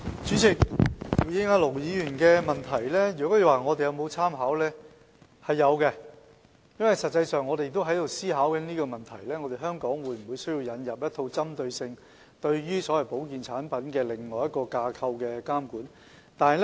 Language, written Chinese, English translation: Cantonese, 主席，回應盧議員的補充質詢，他問及我們有否參考，有的，實際上我們亦在思考香港有沒有需要引入一套針對所謂保健產品的監管架構。, President in response to Ir Dr LOs supplementary question asking whether we have made any reference the answer is yes . In fact we are giving thoughts to the need of introducing a regulatory framework for the so - called health products